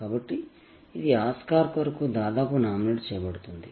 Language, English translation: Telugu, So, it was almost a candidate nominee for the Oscars